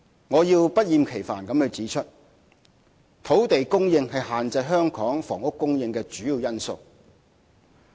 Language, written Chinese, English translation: Cantonese, 我要不厭其煩地指出，土地供應是限制香港房屋供應的主要因素。, Please allow me to repeat once again that land supply is the main cause that restricts the housing supply in Hong Kong